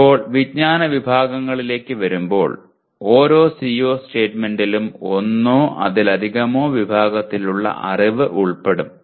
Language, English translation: Malayalam, Now coming to the knowledge categories, every CO statement will include one or more categories of knowledge